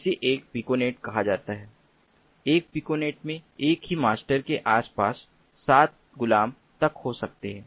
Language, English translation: Hindi, a piconet can contain up to seven slaves clustered around a single master